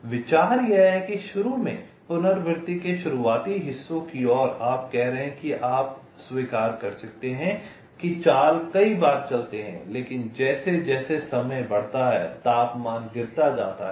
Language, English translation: Hindi, so the idea is that there is initially, towards the initial parts of the iteration you are saying that you may accept words moves many a time, but as time progresses the temperature drops